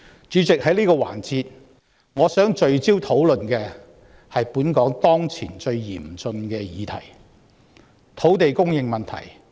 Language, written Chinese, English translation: Cantonese, 主席，在這個環節，我想聚焦討論的是本港當前最嚴峻的問題：土地供應問題。, President in this session I would like to focus my discussion on the most critical problem in Hong Kong currently land supply